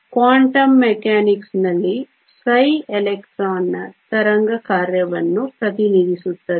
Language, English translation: Kannada, In quantum mechanics psi represents the wave function of the electron